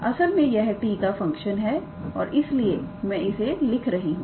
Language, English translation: Hindi, This is actually a function of t and that is why we are writing f of t